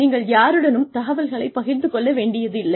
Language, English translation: Tamil, You do not have to share the information with anyone